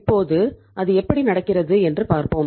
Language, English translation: Tamil, Now let us see how it happens